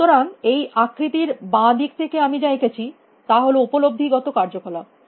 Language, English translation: Bengali, So, on the left what I have drawn in this figure are the sensing kind of activities